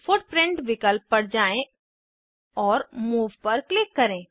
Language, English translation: Hindi, Go to Footprint options, and click on Move